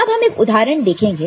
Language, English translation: Hindi, Now, if you look at one example